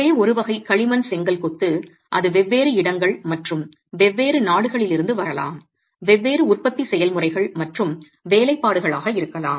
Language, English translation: Tamil, Of course, this is not from one single type of clay brick masonry, it could be from different locations and different countries manufacturing processes and workmanship